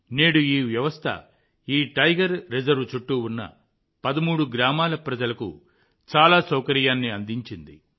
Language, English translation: Telugu, Today, this system has provided a lot of convenience to the people in the 13 villages around this Tiger Reserve and the tigers have also got protection